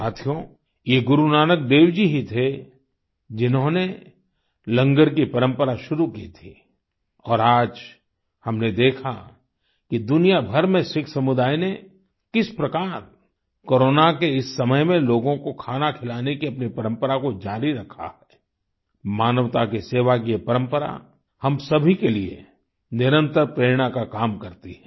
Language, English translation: Hindi, it was Guru Nanak Dev ji who started the tradition of Langar and we saw how the Sikh community all over the world continued the tradition of feeding people during this period of Corona , served humanity this tradition always keeps inspiring us